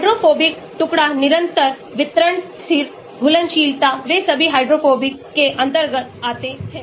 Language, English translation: Hindi, hydrophobic fragmental constant, distribution constant, solubility they all come under the hydrophobic